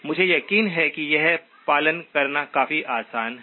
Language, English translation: Hindi, I am sure this is fairly easy to follow